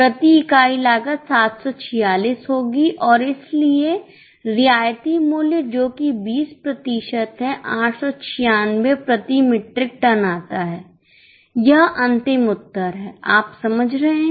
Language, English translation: Hindi, Cost per unit will be 746 and so concessional price which is 20% comes to 896 per metric term, this is the final answer